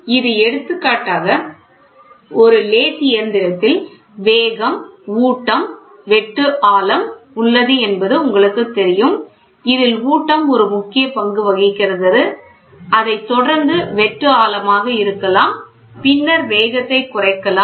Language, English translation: Tamil, It gives for example, you have speed, feed, depth of cut in a lathe machine we know feed plays an important role followed by may be a depth of cut may then followed by cutting speed